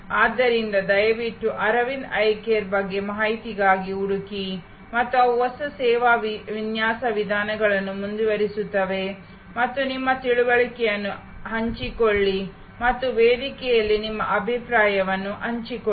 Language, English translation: Kannada, So, please do search for information on Aravind Eye Care and they are path breaking new service design methodologies and share your understanding and share your comments on the forum